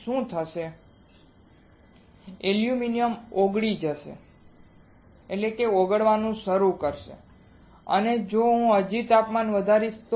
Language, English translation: Gujarati, What will happen aluminum will first get melt it will start melting and if I still keep on increasing the temperature